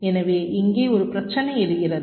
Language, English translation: Tamil, so there is one issue that arises here